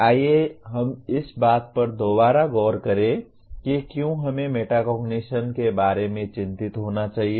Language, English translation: Hindi, Let us reemphasize why should we be concerned about metacognition